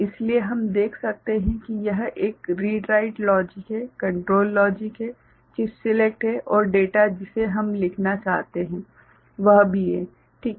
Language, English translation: Hindi, So, we can see that this there is a read write logic, control logic is there, chip select is there and data that we want to write ok, that is also there fine